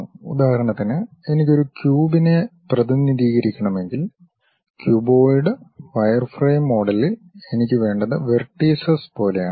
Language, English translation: Malayalam, For example, if I want to represent a cube, cuboid; in the wireframe model what I require is something like vertices